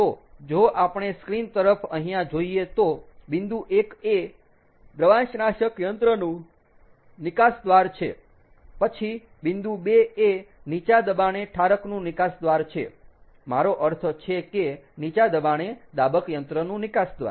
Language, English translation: Gujarati, so if we look at the screen over here, the point number one is the exit of the evaporator, ok, then point number two is the exit of the low pressure condenser, i mean low pressure compressor